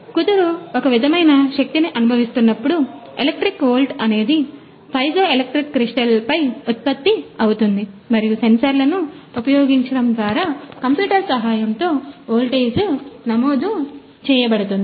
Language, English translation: Telugu, So whenever the spindle is experiencing some sort of the force; electric volt is getting generated on those piezoelectric crystal and by using sensors we are that voltage we are recorded by using our computer